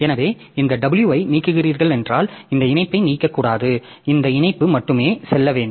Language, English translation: Tamil, So, if you are deleting this W it should not delete this entry, okay, only this link should go